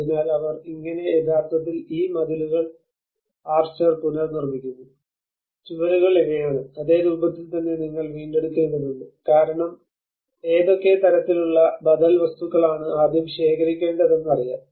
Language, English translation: Malayalam, So how they are actually rebuilding these walls and also the archer, walls these are because you need to regain the same form you know what kind of alternative materials one has to procure first of all